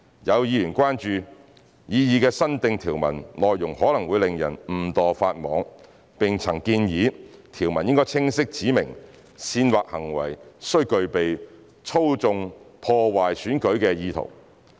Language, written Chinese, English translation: Cantonese, 有議員關注擬議新訂條文內容可能令人誤墮法網，並曾建議條文應清晰指明煽惑行為須具備操縱、破壞選舉的意圖。, Some members have expressed concerns that the proposed new section may be breached inadvertently and suggested that the provision should clearly require that the incitement conduct be specified with an intent to manipulate and undermine the election